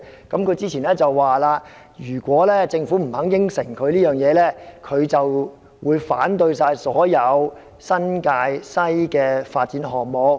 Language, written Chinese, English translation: Cantonese, 他之前說，如果政府不肯答應這一點，他會反對所有新界西的發展項目。, He said earlier that if the Government rejected his view he would vote against all development projects in the New Territories West